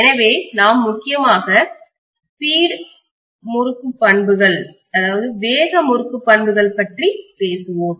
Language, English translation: Tamil, So we will be talking about the speed torque characteristics mainly